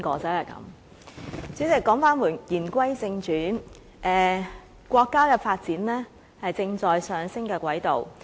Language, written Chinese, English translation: Cantonese, 代理主席，言歸正傳，國家的發展，正處於上升的軌道。, Deputy President let me come back to the subject matter . The countrys development is on the growing track